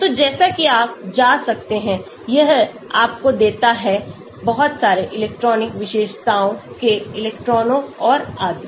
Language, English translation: Hindi, So, as you can go, it gives you a lot of electronic features electrons and so on